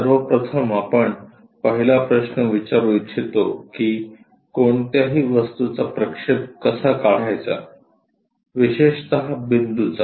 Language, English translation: Marathi, The first question what we would like to ask is how to draw projection of any object especially a point